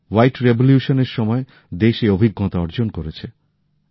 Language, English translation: Bengali, The country has experienced it during the white revolution